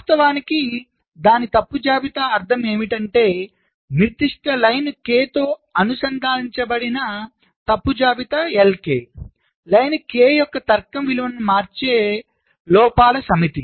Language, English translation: Telugu, the fault list l, k that is associated with the particular line k is the list of fault, so the set of faults that changes the logic value of line k